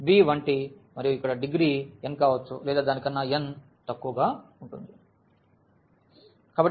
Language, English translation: Telugu, So, b 1 t and here the degree can be n or it can be less than n, so, b and t n